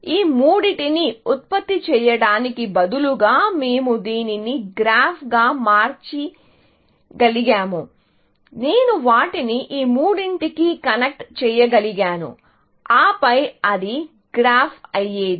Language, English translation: Telugu, We could have converted this into a graph by, instead of generating these three, I could have connected them to these three, and then, it would have been a graph